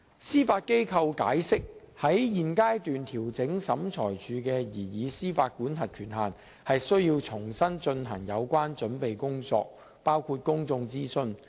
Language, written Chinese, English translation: Cantonese, 司法機構解釋，在現階段調整審裁處的司法管轄權限，須重新進行有關準備工作，包括公眾諮詢。, The Judiciary explained that any amendment to SCTs jurisdictional limit at this stage would necessitate a fresh round of preparatory work including public consultation